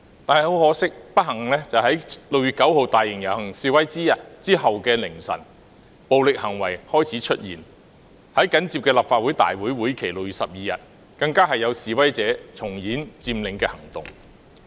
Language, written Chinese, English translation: Cantonese, 但很可惜及不幸，在6月9日大型遊行之後的凌晨，暴力行為開始出現，在緊接的立法會會議日期6月12日當天，更有示威者重演佔領行動。, Yet regrettably and unfortunately in the small hours following the large - scale rally on 9 June violent acts started to happen . On 12 June the scheduled date of the following Legislative Council meeting some protesters restaged an occupation action